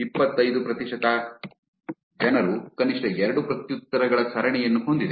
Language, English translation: Kannada, 25 percent have a chain of at least 2 replies